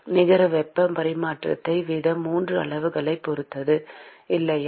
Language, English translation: Tamil, The net heat transfer rate depends upon 3 quantities, right